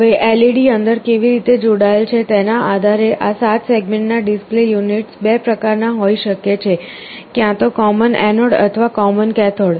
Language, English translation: Gujarati, Now, depending on how the LEDs are connected inside, these 7 segment display units can be of 2 types, either common anode or common cathode